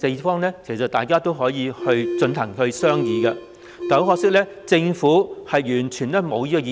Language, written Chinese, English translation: Cantonese, 其實大家可以商議這些方案，但很可惜，政府完全無意這樣做。, We can in fact discuss these options but the Government simply has no intention of doing so